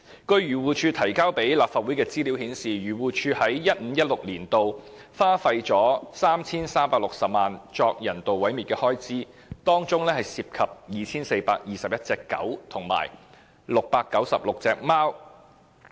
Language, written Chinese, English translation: Cantonese, 根據漁護署向立法會提交的資料顯示，漁護署在 2015-2016 年度花費 3,360 萬元作人道毀滅的開支，當中涉及 2,421 隻狗及696隻貓。, According to the information provided by AFCD to the Legislative Council the expenditure on euthanization was 33.6 million in 2015 - 2016 which involved 2 421 dogs and 696 cats